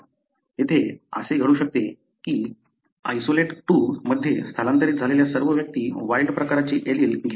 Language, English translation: Marathi, It may so happen here that individuals all that migrated to the isolate 2 arecarrying the wild type allele